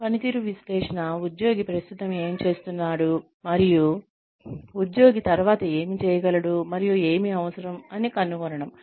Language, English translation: Telugu, So, performance analysis is finding out, what the employee is currently doing, and what the employee can do later and what will be required